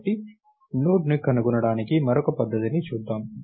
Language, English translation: Telugu, So, lets look at another method for finding a Node